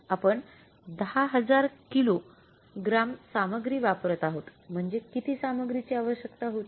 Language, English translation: Marathi, We are using 10,000 kages of the material means how much material was required